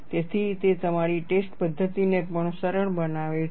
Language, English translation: Gujarati, So, that simplifies your testing methodology also